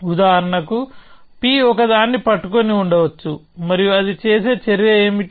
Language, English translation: Telugu, So, for example, p could be holding a, and what is there action which might do that